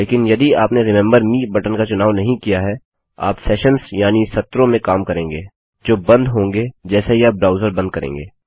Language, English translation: Hindi, But if you didnt check a button like remember me, you will probably be dealing with sessions which close as soon as the user closes the browser